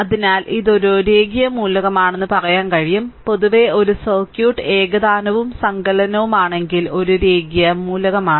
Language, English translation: Malayalam, So, then you can say that it is a linear element; in general a circuit is a linear if it is both homogeneous and additive right